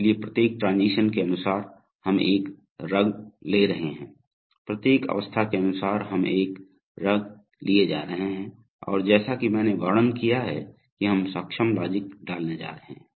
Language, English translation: Hindi, So corresponding to every transition we are going to have one rung, corresponding to every state we are going to have one rung and as I have described we are going to put the enabling logics